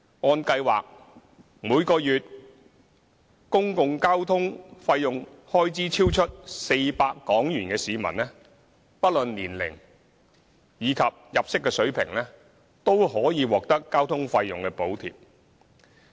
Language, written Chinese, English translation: Cantonese, 按計劃，每月公共交通開支超出400元的市民，不論年齡及入息水平，均可獲得交通費用補貼。, Under the Scheme the Government will provide fare subsidy for commuters whose monthly public transport expenses exceed 400 regardless of their age and income level